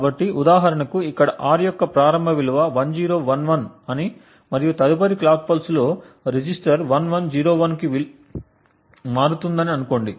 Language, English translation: Telugu, So, for example over here let us say that the initial value of R is 1011 and in the next clock pulse the register changes to the value of 1101